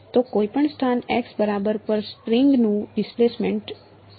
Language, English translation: Gujarati, Its the displacement of the string at any position x ok